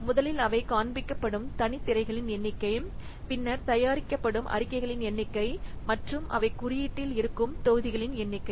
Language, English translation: Tamil, First, the number of separate screens they are displayed, then the number of reports that are produced and the number of modules they are present in the code